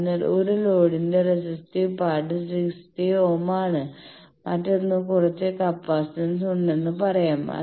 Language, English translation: Malayalam, So, a load is that is resistive part is 60 ohm and another let us say that some capacitance is there